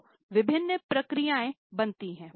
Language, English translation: Hindi, So, various processes are formed